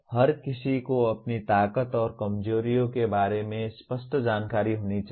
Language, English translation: Hindi, Everyone should have clear knowledge about one’s own strengths and weaknesses